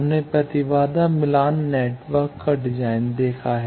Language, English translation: Hindi, We have seen the design of impedance matching network